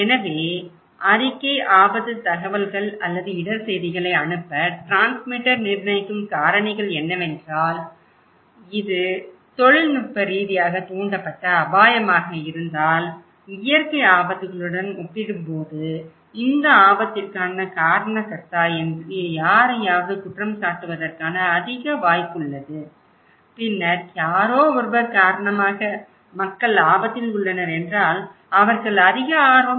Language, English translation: Tamil, So, factors that determine transmitter attractiveness to pass report risk informations or risk news is, if it is technologically induced hazard then compared to natural hazards they will report more possibility to blame someone that it is this risk, people are at risk because of someone then they are more interested, cultural distance from the place of occurrence people never experience this one